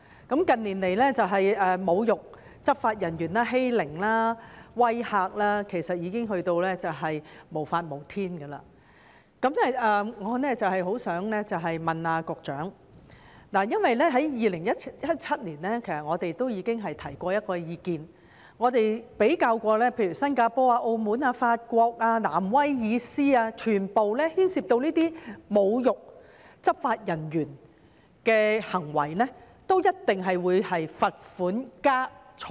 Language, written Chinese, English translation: Cantonese, 近年侮辱執法人員、欺凌和威嚇的行為其實已達到無法無天的程度，我想問局長，我們在2017年已提出一項意見，並比較例如新加坡、澳門、法國和新南威爾斯等地，所有地方均對牽涉侮辱執法人員的行為處以罰款加監禁。, I would like to ask the Secretary . We had put forth a suggestion as early as in 2017 and compared the practices of various places such as Singapore Macao France and New South Wales . In all these places offences relating to insulting law enforcement officers are punishable by fine and imprisonment